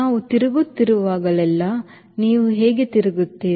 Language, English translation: Kannada, whenever you are turning, how do you turn you